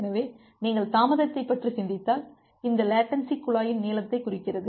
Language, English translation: Tamil, So, if you just think about the latency; so, this latency denotes the length of the pipe